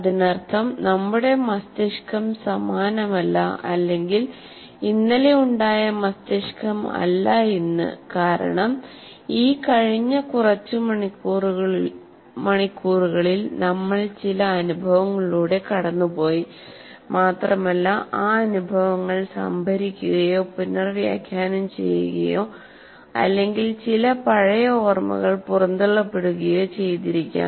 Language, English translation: Malayalam, That means, our brain is not the same of what it was yesterday because from in this past few hours we would have gone through some experiences and those experiences would have been stored or reinterpreted thrown out or some old memories might have been thrown out